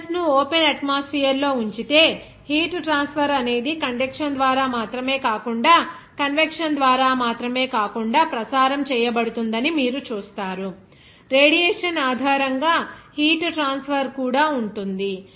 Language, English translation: Telugu, There also it is important sometimes that if you keep the metals in open atmosphere you will see that heat will be transferred not only by conduction, not only by convection, there will be a transfer of heat based on radiation also